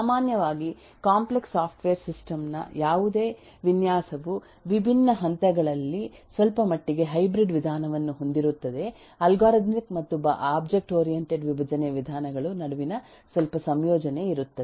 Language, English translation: Kannada, In general any design of a complex eh software system will at different stages have a some bit of hybrid approach, some bit of combination between the algorithmic as well as the object oriented decomposition approaches